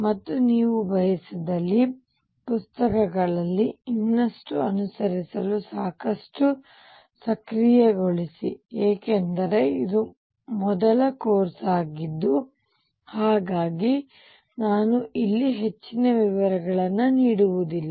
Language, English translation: Kannada, And enable you enough to follow this in books if you wish too, because this is the first course so I do not really give a many details here